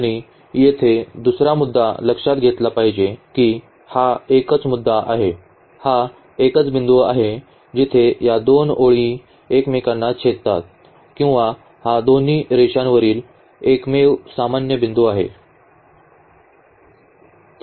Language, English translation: Marathi, And, the other point here to be noticed that this is the only point, this is the only point where these 2 lines intersect or this is the only common point on both the lines